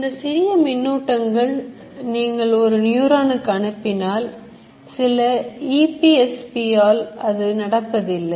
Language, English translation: Tamil, These currents individually if you send to one neuron and some EPSP by one neuron it will not happen